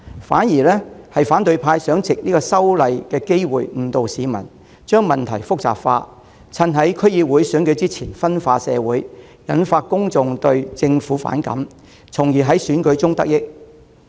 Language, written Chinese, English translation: Cantonese, 反而，反對派想藉這次修例的機會誤導市民，將問題複雜化，在區議會選舉前夕分化社會，挑起公眾對政府的反感，從而在選舉中得益。, In contrast the opposition has been keen to exploit the opportunity presented by the legislative amendment exercise to mislead the public and complicate the problem in a bid to polarize the community and fuel public discontent towards the Government on the eve of the District Council elections thereby reaping benefits in the elections